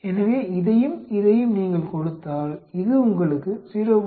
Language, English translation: Tamil, So, it gives you a 0